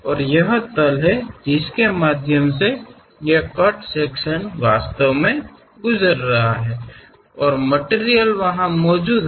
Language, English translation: Hindi, And this is the plane through which this cut section is really passing through and material is present there